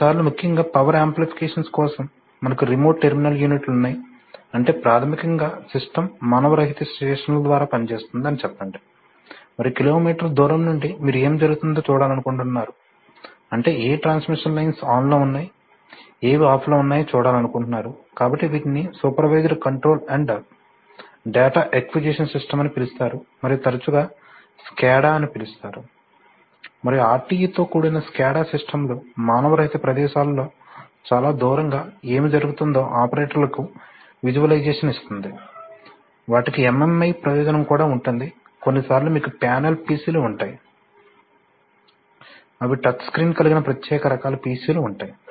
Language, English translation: Telugu, Sometimes especially in for power applications you have remote terminal units, that is basically the system is working in let us say unmanned stations and from kilometers away you want to get a view of what is happening, let us say which of the witch of the transmission lines are on, which are off, so such a system is called a supervisory control and data acquisition system often called SCADA and so SCADA systems with RTU’s give, gives operators a visualization of what is happening quite far away in unmanned places, there also MMI, they also have MMI purpose Sometimes you have panel pcs, they are special types of pcs with you know touch screen